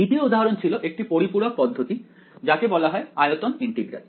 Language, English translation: Bengali, The 2nd example is going to be related complementary method which is called volume integral ok